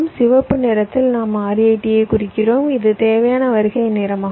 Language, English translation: Tamil, so in red we are marking r a t, required arrival time